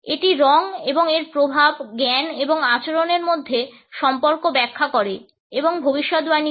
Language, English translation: Bengali, That explains and predicts relations between color and its effect, cognition and behavior